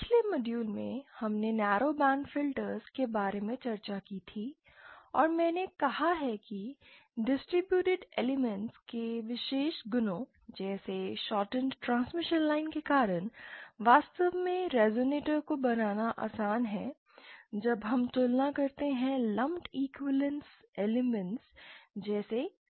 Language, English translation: Hindi, In the previous modules we had discussed about narrow ban filters and I have said that because of the special properties of the distributed elements like shortened transmission lines it is actually easier to realize resonator as compared to lumps equivalence or equivalence of lumped elements like l and c